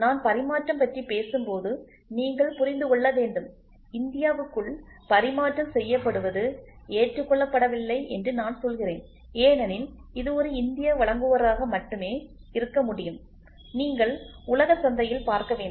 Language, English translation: Tamil, See you should understand when I try to talk about interchangeability and I say interchangeability within India it is not accepted because how long can it be only an Indian supplier, you have to get into the global market